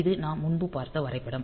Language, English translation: Tamil, So, this is the diagram that we had previously